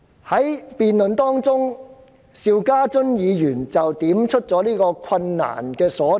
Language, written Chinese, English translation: Cantonese, 在辯論期間，邵家臻議員點出了困難所在。, Mr SHIU Ka - chun already pointed out the difficulties in the course of debate